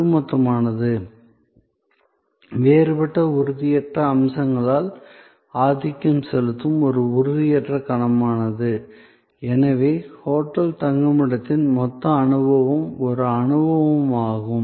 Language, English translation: Tamil, So, the totality is an intangible heavy, dominated by deferent intangible aspects, the totality of the hotel stay is therefore an experience